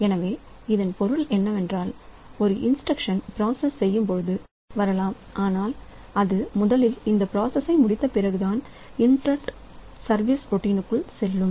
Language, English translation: Tamil, So, what it means is that when a processor is executing a single instruction interrupt can come but the current executing instruction is completed first then only it goes into the interrupt service routine